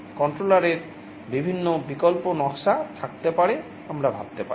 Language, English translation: Bengali, There can be various alternate designs of controllers we can think of